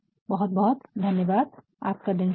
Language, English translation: Hindi, Thank you very much have a nice day